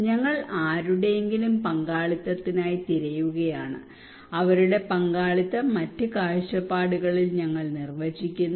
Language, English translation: Malayalam, We are looking for someone’s participations and we are defining their participations in other perspective other terms